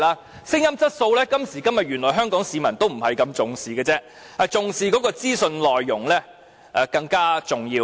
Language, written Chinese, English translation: Cantonese, 至於聲音質素，原來今天也不大獲得香港市民重視，因資訊內容更為重要。, As for sound quality it turns out that people nowadays do not attach very great importance to this aspect because the contents of information are much more important